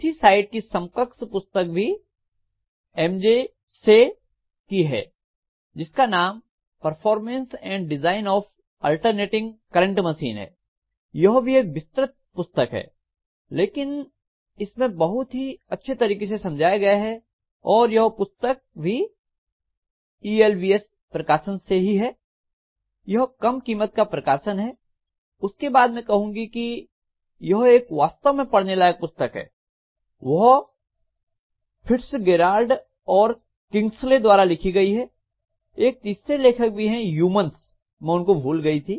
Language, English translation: Hindi, Say, this is actually a Performance and Design of Alternating Current Machines, this is again a very vast book but the explanations are extremely good and this is also from ELBS, this is a low price edition, then I would say one more book which is really worthy of reading that is by Fitzgerald and Kingsley, of course there is a third author, Umans, I have left him out